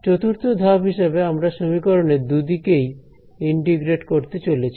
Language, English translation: Bengali, Takes as a step 4 we are going to integrate on both sides of this expression ok